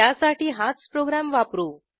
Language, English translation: Marathi, I will use the same program